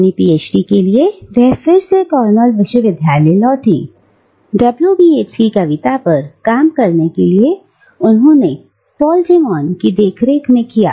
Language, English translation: Hindi, For her PhD, she again returned to Cornell university, to work on the poetry of W B Yeats and she worked under the supervision of Paul De Mann